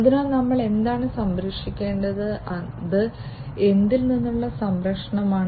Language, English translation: Malayalam, So, what should we protect and it is protection against what